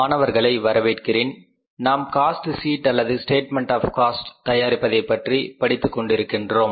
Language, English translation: Tamil, So, we are in the process of learning about the preparation of the cost sheet or the statement of the cost